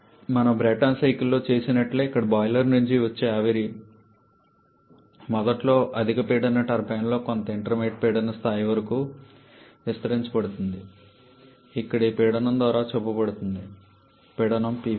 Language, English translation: Telugu, Just like what we have done in the Brayton cycle here the steam that is coming from the boiler is initially expanded in a high pressure turbine up to some intermediate pressure level as shown by this pressure here the pressure P 4